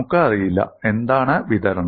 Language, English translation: Malayalam, We do not know, what is the distribution